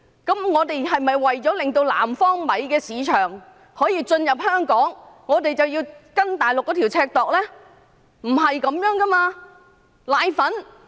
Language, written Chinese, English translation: Cantonese, 但我們是否為了令南方米進入香港的市場，便要以內地的尺來量度呢？, But should we use the Mainland standard as a gauge only to enable the rice produced in the south to gain a foothold in the market of Hong Kong?